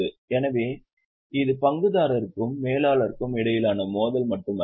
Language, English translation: Tamil, So, it is not just a conflict between shareholder and managers